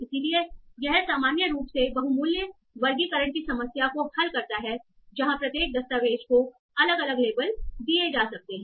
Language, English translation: Hindi, So this in general solves the problem of multi value classification where each document attached time might be given multiple different labels